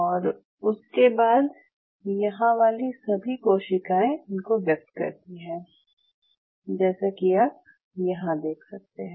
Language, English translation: Hindi, And after that all the cells here express it is something like them I will show you